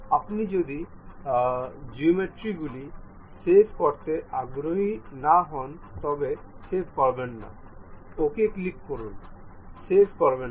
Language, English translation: Bengali, If you are not interested in saving geometries, do not save, click ok, do not save